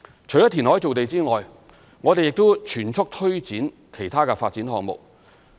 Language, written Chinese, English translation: Cantonese, 除填海造地外，我們亦正全速推展其他發展項目。, In addition to land formation by reclamation we have also been pressing ahead with other development projects